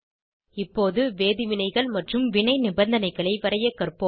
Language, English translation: Tamil, Now lets learn to draw chemical reactions and reaction conditions